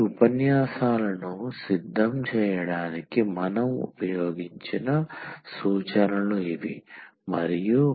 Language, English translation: Telugu, So, these are the references we have used to prepare these lectures and